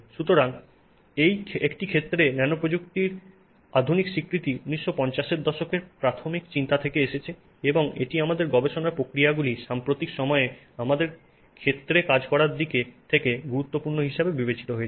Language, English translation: Bengali, So, in any case, modern recognition of nanotechnology comes from early thoughts in 1950s and it has really, you know, significantly taken over our research processes in recent times in terms of being an area that many of us are working on